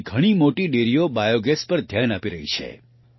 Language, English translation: Gujarati, Today many big dairies are focusing on biogas